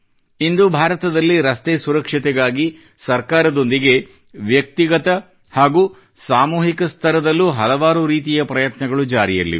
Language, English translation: Kannada, Today, in India, many efforts are being made for road safety at the individual and collective level along with the Government